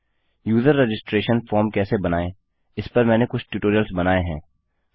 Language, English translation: Hindi, I have created some tutorials on how to make a user registration form